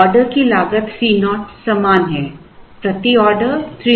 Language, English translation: Hindi, The order cost C naught is the same 300 per order